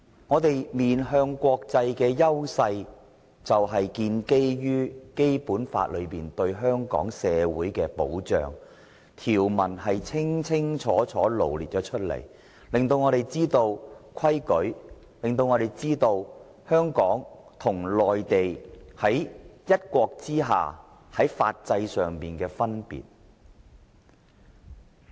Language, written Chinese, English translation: Cantonese, 香港面向國際的優勢是建基於《基本法》對香港社會的保障，條文是清清楚楚羅列出來的，讓我們知道規矩，以及香港和內地在"一國"之下在法制上的分別。, Hong Kongs advantage in its international outlook is based on the protection of Hong Kongs society enshrined in the Basic Law . Set out very clearly the provisions enable us to know the rules and regulations and the difference in the legal systems of Hong Kong and the Mainland under one country